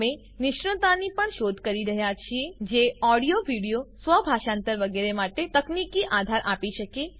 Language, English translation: Gujarati, We are also looking for experts who can give technology support for audio, video, automatic translation, etc